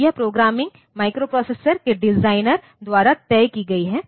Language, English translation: Hindi, So, this programming is fixed by the designer of the microprocessor